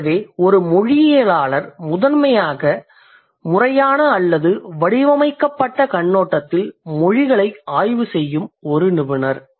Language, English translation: Tamil, So, a linguist primarily is a specialist who studies languages from a systematic or patent perspective